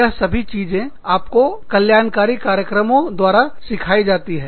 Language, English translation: Hindi, All of this, could be taught to you, through the wellness programs